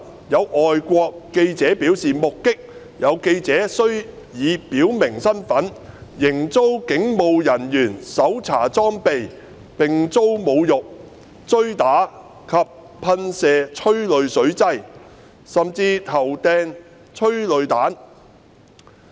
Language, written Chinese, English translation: Cantonese, 有外國記者表示，目擊有記者雖已表明身份，仍遭警務人員搜查裝備，並遭侮辱、追打及噴射催淚水劑，甚至投擲催淚彈。, According to a foreign journalist he witnessed that despite some journalists having identified themselves their equipment was searched and they were insulted chased assaulted and sprayed with tear sprays by police officers who even hurled tear gas rounds at them